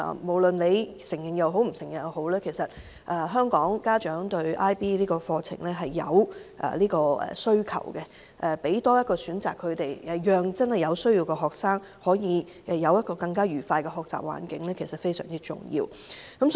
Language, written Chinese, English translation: Cantonese, 無論大家承認與否，香港家長對 IB 課程有需求，給予他們多一個選擇，讓有需要的學生有更愉快的學習環境實在非常重要。, Whether we acknowledge it or not IB programmes are in demand among Hong Kong parents . It is important that an alternative should be offered to students needing a more pleasant learning environment